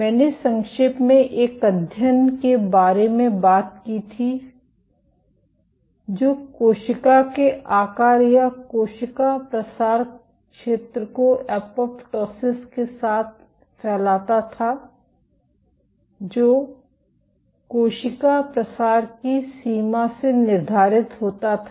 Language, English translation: Hindi, I had briefly talked about one study which linked cell shaped or cell spreading area with apoptosis dictated by the extent of cell spreading